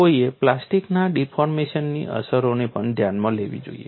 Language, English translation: Gujarati, One should also consider effects of plastic deformation